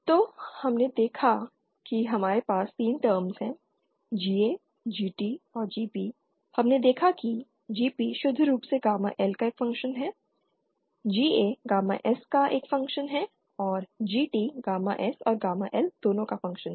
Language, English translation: Hindi, So we saw that we have 3 terms GA GT GA and GP we saw that GP is purely a function of gamma L GA is purely a function of gamma S and GT is function of both gamma S and gamma L